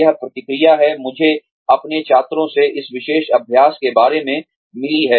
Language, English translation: Hindi, This is the feedback; I have received from my students, about this particular exercise